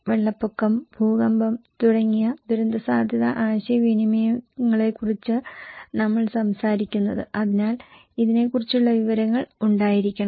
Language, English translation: Malayalam, When we are talking about disaster risk communications, like flood, earthquake, so there should be informations about this